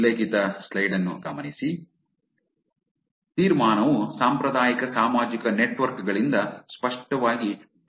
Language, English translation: Kannada, So, the conclusion is clearly different from traditional social networks